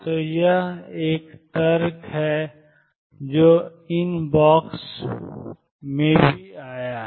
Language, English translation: Hindi, So, this is an argument which is also came inbox